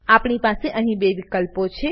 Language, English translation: Gujarati, We have two options here